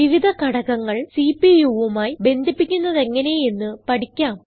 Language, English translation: Malayalam, Now, lets learn how to connect the various components to the CPU